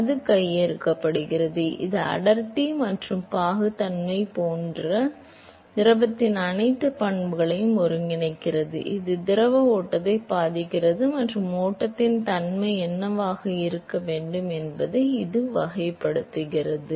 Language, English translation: Tamil, So, it captures, it incorporates all the properties of the fluid like density and viscosity, which effects the fluid flow and it characterizes as to what should be the nature of the flow